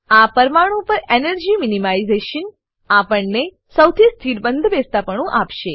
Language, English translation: Gujarati, Energy minimization on this molecule will give us the most stable conformation